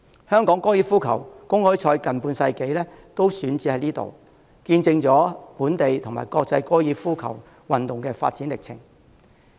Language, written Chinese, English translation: Cantonese, 香港高爾夫球公開賽近半世紀都選址於此，見證了本地及國際高爾夫球運動的發展歷程。, The site also witnessed the development of golf locally and internationally as it has been the venue of the Hong Kong Open for nearly half a century